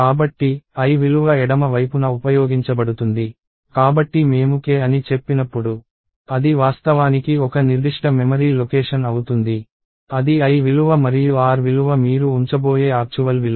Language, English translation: Telugu, So, l value is used on the left side, so whenever I say k, in turn it is actually a specific memory location, that is the l value and the r value is the actual value that you are going to put in